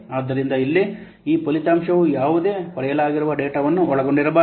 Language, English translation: Kannada, So here, and this result cannot contain any derived data